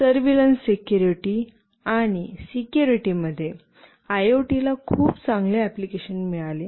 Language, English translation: Marathi, In surveillance and security, IoT has got very good applications